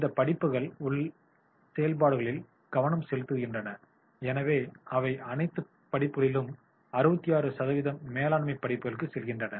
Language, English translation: Tamil, These courses focus on internal activities and therefore 66% of all courses and they go for the management courses